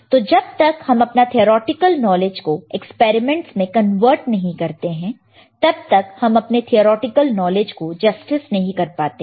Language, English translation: Hindi, So, actually it until unless you translate it to experimental your theoretical knowledge you are not doing justice to your theoretical knowledge that is what I can say